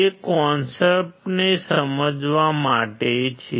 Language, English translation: Gujarati, It is all about understanding the concept